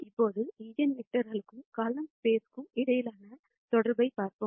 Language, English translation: Tamil, Now, let us see the connection between eigenvectors and column space